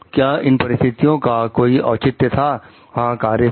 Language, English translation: Hindi, Yes was there any justification in the circumstances, yes the act is ok